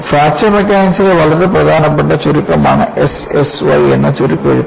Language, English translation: Malayalam, And, this abbreviation S S Y is also a very important abbreviation in Fracture Mechanics